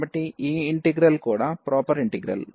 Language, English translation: Telugu, So, this integral is also proper integral